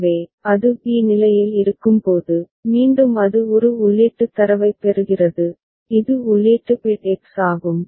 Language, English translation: Tamil, So, when it is at state b, again it receives an input data, input bit which is X